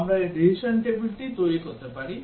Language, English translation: Bengali, We can develop this decision table